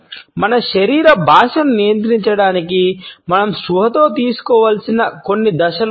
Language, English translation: Telugu, In order to control our body language, there are certain steps which we should consciously take